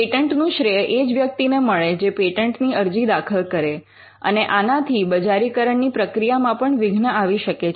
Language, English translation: Gujarati, Now, the credit for the patents will definitely go to the person who files the patent, and this could also eventually it could stall commercialization itself